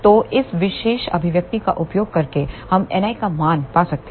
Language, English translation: Hindi, So, by using this particular expression we can find the value of N i